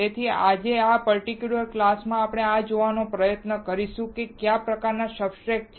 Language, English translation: Gujarati, So, today in this particular class we will try to see, what are the kind of substrates